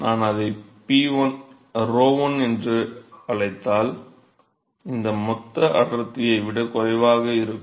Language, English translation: Tamil, So, if I call it rho one this will be lesser than the bulk density